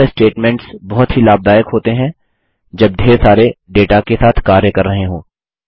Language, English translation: Hindi, These statements are very useful when dealing with large amounts of data